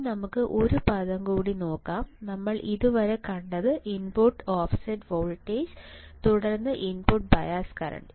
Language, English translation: Malayalam, Now, let us see one more term; what we have seen until now, input offset voltage, then we have seen input bias current